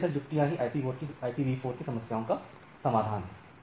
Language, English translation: Hindi, So, those are solutions which are available on the IPv4